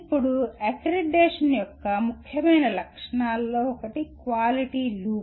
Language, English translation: Telugu, Now, one of the important features of accreditation is the Quality Loop